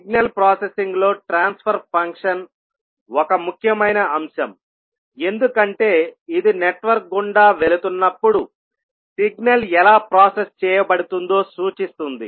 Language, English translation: Telugu, Transfer function is a key concept in signal processing because it indicates how a signal is processed as it passes through a network